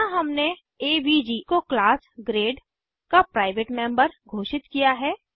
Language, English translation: Hindi, Here we have declared avg as private member of class grade